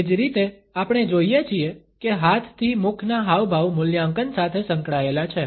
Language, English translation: Gujarati, Similarly, we find that hand to face gestures are associated with evaluation